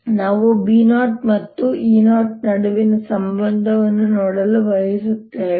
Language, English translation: Kannada, and we want to see the relationship between b zero and e zero